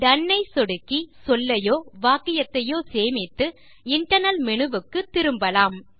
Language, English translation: Tamil, Lets click DONE to save the word or sentence and return to the Internal menu